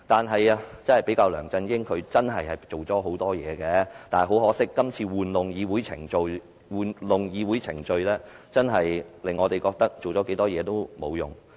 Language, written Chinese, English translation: Cantonese, 與梁振英比較，她真的做了很多事，但很可惜，她今次玩弄議會程序，令我們認為她做了多少事也沒用。, When compared with LEUNG Chun - ying she really has done a lot but regrettably when we see how she has manipulated the legislative procedure in this incident all her effort will be to no avail